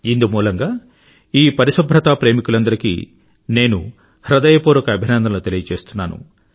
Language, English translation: Telugu, I heartily congratulate all these cleanlinessloving countrymen for their efforts